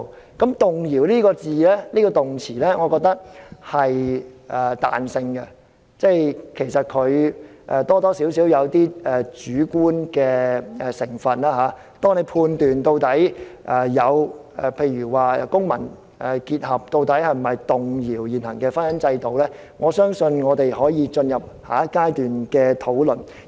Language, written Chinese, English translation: Cantonese, 我覺得"動搖"這個動詞是有彈性的，多少帶點主觀的成分，關於判斷民事結合是否屬於動搖現行的婚姻制度，我相信我們可以進入下一階段的討論。, I opine that the term shaking is flexible . It involves more or less a degree of subjectivity . As to whether or not civil union will shake the existing marriage institution I believe we can debate that in the next stage of discussion